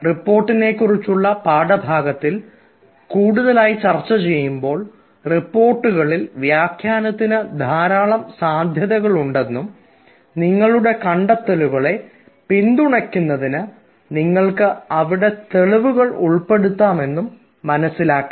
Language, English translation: Malayalam, because when we talk about the report, as will discuss ah in the lecture on report, we will see that in reports there is ample scope for interpretation and you also will find ah that you have evidences there to support ah your findings